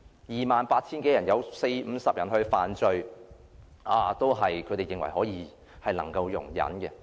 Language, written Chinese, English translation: Cantonese, 二萬八千多人中有四五十人犯罪，他們認為是可以容忍的。, For them 40 to 50 people in more than 28 000 committing crimes is tolerable